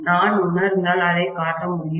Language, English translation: Tamil, If I feel like I can show it